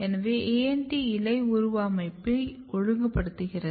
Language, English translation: Tamil, So, this suggests that ANT is also regulating leaf morphology